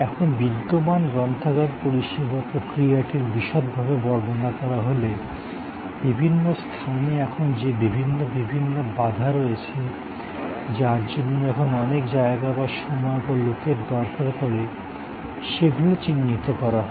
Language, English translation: Bengali, Now, mapping the process of the existing library service, looking at the different elements that are now bottlenecks are now takes a lot of space or time or people engagement